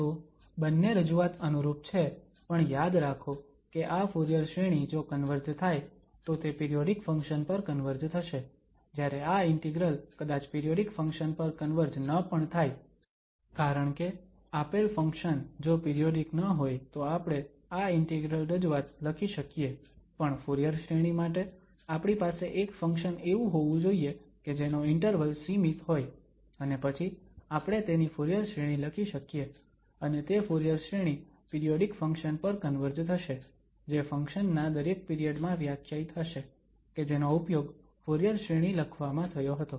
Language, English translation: Gujarati, So, both the representations are analogous but remember that this Fourier series if it converge, it will converge to a periodic function whereas this integral will may not converge to a periodic function because if the given function is not periodic, we can write down its integral representation but for the Fourier series we should have a function defined in a finite interval and then we can write its Fourier series and that Fourier series will converge to a periodic function defined in each period to the function which was used for writing the Fourier series